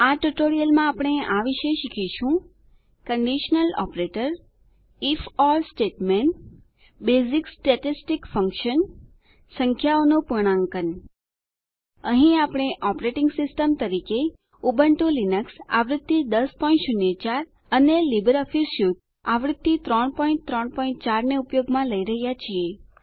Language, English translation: Gujarati, In this tutorial we will learn about: Conditional Operator If..Or statement Basic statistic functions Rounding off numbers Here we are using Ubuntu Linux version 10.04 as our operating system and LibreOffice Suite version 3.3.4